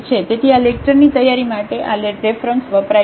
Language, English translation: Gujarati, So, these are the references used for the preparation of this lecture